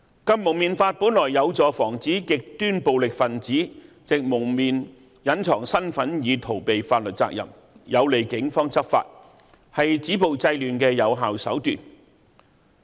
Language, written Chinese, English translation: Cantonese, 《禁蒙面法》本來有助防止極端暴力分子藉蒙面隱藏身份以逃避法律責任，有利警方執法，是止暴制亂的有效手段。, Originally the anti - mask law could have helped to prevent violent extremists from evading the legal liabilities by concealing their identities with the use of facial covering and assist law enforcement actions by the Police . It should have been an effective measure to stop violence and curb disorder